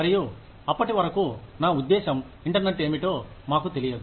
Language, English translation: Telugu, And, till then, I mean, we had no idea of, what the internet was